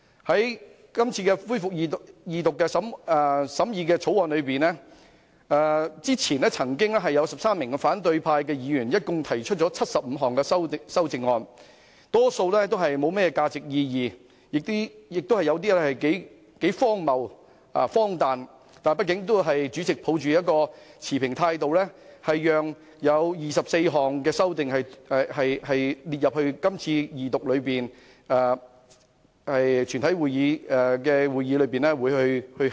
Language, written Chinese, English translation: Cantonese, 對於今次恢復《條例草案》的二讀辯論，之前曾有13名反對派議員提出合共75項修正案，大多數不具甚麼價值和意義，而有些亦頗為荒謬和荒誕，但畢竟主席也抱着持平的態度，批准了24項修正案，讓議員在今次二讀辯論和全體委員會審議階段考慮。, In respect of the resumed Second Reading debate on the Bill this time around 13 Members from the opposition camp have previously proposed a total of 75 amendments . Most of them are rather insignificant and meaningless and some of them are quite absurd and ridiculous . But after all the President has in an impartial manner ruled 24 amendments as admissible for consideration by Members at this Second Reading debate and the Committee stage